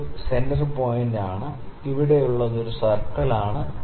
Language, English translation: Malayalam, So, this is a centre point and this is a circle here